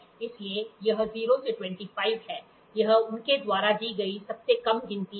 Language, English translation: Hindi, So, here it is 0 to 25, this is the least count they have given